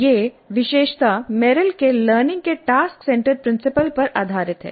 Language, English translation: Hindi, This feature is based on Merrill's task centered principle of learning